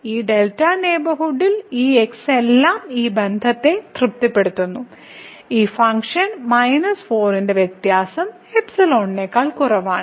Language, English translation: Malayalam, So, all these in this delta neighborhood satisfies this relation that the difference of this function minus 4 is less than the epsilon